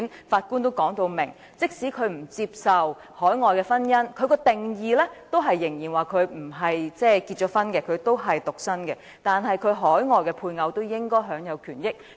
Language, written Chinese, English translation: Cantonese, 法官已表明，即使他不接受海外註冊的婚姻，認為在定義上他仍然未婚和獨身，但其海外配偶應該享有權益。, The Judge already said that even though he did not accept this marriage contracted overseas and considered that the Immigration Officer is still single and a bachelor his spouse overseas should enjoy the rights and benefits